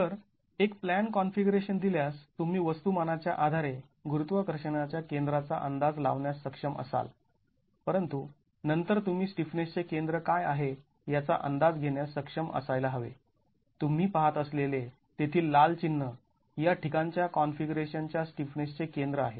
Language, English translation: Marathi, So, given a plan configuration you will be able to estimate the center of gravity based on the masses but then you should be able to estimate what the center of stiffness is, the red mark that you see there is the center of the configuration here